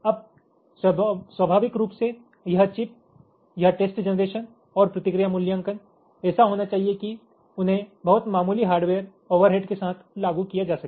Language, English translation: Hindi, now, quite naturally, this chip, this, this test generation and response evaluation, should be such that they can be implemented with very nominal hardware overheads